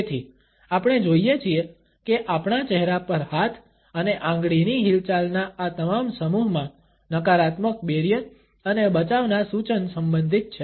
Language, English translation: Gujarati, So, we see that in all these clusters of hand and finger movements across our face, the suggestion of negativity barriers and defense is related